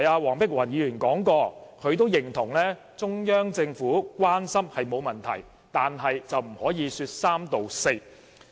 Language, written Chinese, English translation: Cantonese, 黃碧雲議員剛才指出，她認同中央政府的關心並沒有問題，但卻不可以說三道四。, Dr Helena WONG pointed out earlier that while she agreed that there was no problem for the Central Peoples Government to be concerned she considered that it should not make irresponsible comments